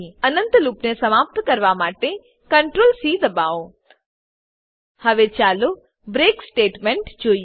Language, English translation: Gujarati, Press Ctrl + C to terminate the infinite loop Now, let us look at the break statement